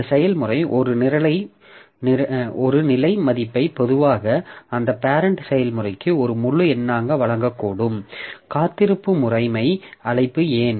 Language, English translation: Tamil, The process may return a status value, typically an integer to its parent process so that via the weight system call